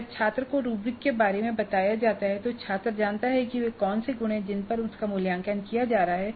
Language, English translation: Hindi, When the rubrics are communicated to the student, student knows what are the attributes on which he or she is being assessed